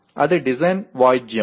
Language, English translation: Telugu, That is a design instrumentality